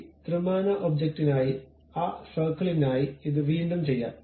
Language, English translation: Malayalam, For this 3 dimensional object let us do it once again for that circle